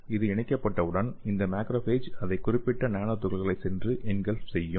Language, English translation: Tamil, So once it attached this macrophages will go to the nanoparticle and it will engulf